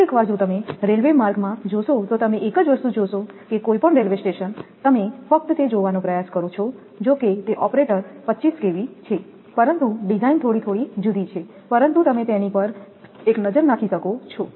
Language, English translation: Gujarati, Sometimes in the railway tracks if you look also you will see the same thing any railway station you just try to look at that although that operator 25 kV but design is little different, but you can have a look on that right